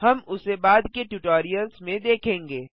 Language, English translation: Hindi, We shall see that in later tutorials